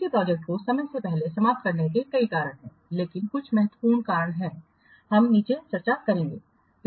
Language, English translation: Hindi, Many reasons are there to prematurely terminating a project, but few important reasons we will discuss below